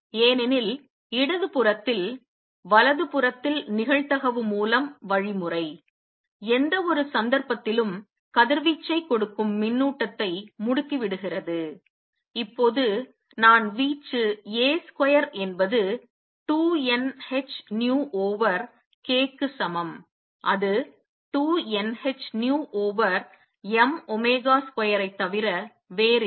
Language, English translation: Tamil, Because in the left hand side, the mechanism through probability on the right hands side; it is through and accelerating charge giving out radiation in any case, I can now calculate the amplitude A square is equal to 2 n h nu over k which is nothing but 2 n h nu over m omega square